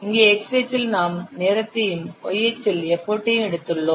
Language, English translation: Tamil, Here in the X axis we have taken the time and Y axis we have taken the effort